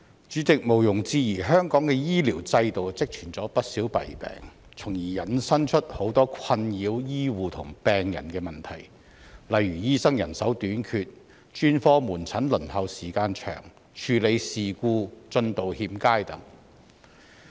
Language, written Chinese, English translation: Cantonese, 主席，毋庸置疑，香港的醫療制度積存了不少弊病，從而引申出許多困擾醫護和病人的問題，例如醫生人手短缺、專科門診輪候時間長、處理事故進度欠佳等。, President undoubtedly there are many long - standing flaws in the medical system in Hong Kong which have given rise to many problems troubling both healthcare personnel and patients . Examples are shortage of doctors long waiting time for specialist outpatient services poor progress in handling medical incidents etc